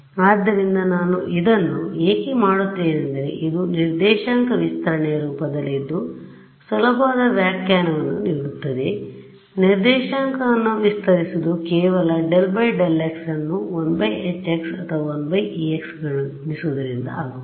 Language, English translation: Kannada, So, why do I why do I do this because this is now in a form that my coordinate stretching will given easy interpretation coordinate stretching will just multiply the del by del x by a 1 by H e I mean 1 by H x or 1 by E x term right